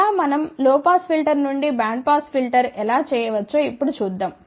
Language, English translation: Telugu, Let us see, how now we can do the thing from low pass filter to bandpass filter